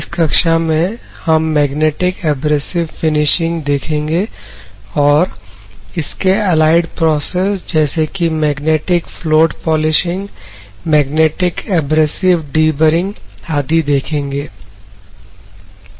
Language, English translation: Hindi, So, in this particular class what we are going to see is magnetic abrasive finishing, and some of the it is allied processes such as magnetic float polishing, magnetic abrasive deburring and other things